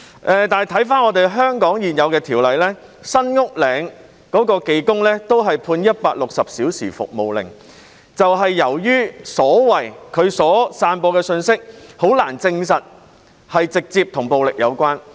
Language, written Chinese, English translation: Cantonese, 可是，回顧香港現有的條例，在網上呼籲包圍新屋嶺的技工都只是被判160小時社會服務令，這便是由於他散播的信息難以證實直接與暴力有關。, But under the existing legislation in Hong Kong a mechanic who made appeals online to besiege San Uk Ling was only sentenced to 160 hours of community service because it was difficult to prove that the message he spread was directly related to violence